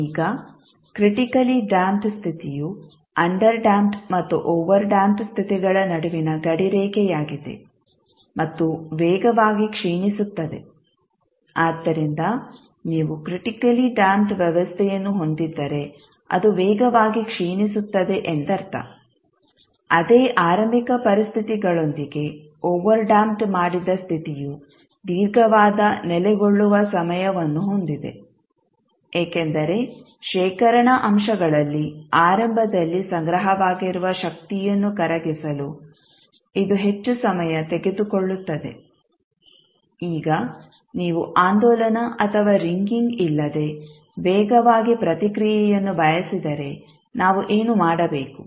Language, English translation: Kannada, Now the critically damped case is the border line between the underdamped and overdamped cases and decays the fastest, so if you have a system which is critically damped it means it will decay the fastest, with the same initial conditions the overdamped case has the longest settling time, because it takes the longest time to dissipate the initially store energy in the storage elements, now if you want the fastest response without oscillation or ringing, what we need to do